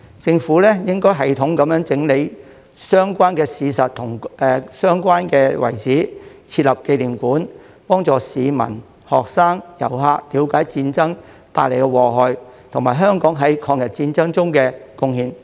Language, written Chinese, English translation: Cantonese, 政府應有系統地整理相關的事實及相關的遺址，設立紀念館，幫助市民、學生和遊客了解戰爭帶來的禍害及香港在抗日戰爭中的貢獻。, The Government should consolidate the relevant facts and relics in a systematic manner and set up a memorial hall to facilitate the understanding of the public students and tourists of the evils of war and Hong Kongs contribution in the War of Resistance